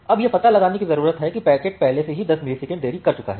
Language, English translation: Hindi, Now it needs to find out that well the packet has already achieved 10 milliseconds of delay